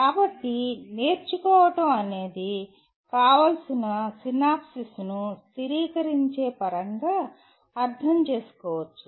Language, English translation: Telugu, So learning can be interpreted in terms of stabilizing the desirable synapses